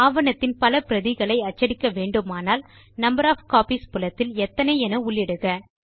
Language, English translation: Tamil, If you want to print multiple copies of the document, then enter the value in the Number of copies field